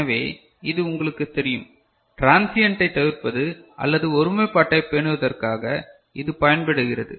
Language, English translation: Tamil, So, this also is useful for you know, avoiding transients or maintaining the integrity, is it clear